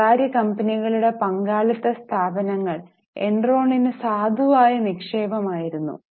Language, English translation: Malayalam, Private firms, partnership firms were valid investment for Enron